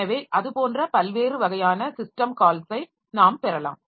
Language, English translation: Tamil, So like that we can have different types of system calls